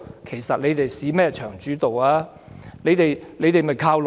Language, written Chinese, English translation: Cantonese, 其實，何來"市場主導"呢？, In fact is it really market - oriented?